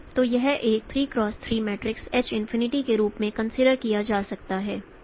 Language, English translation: Hindi, So this can be considered as a 3 cross 3 matrix h infinity and m d is x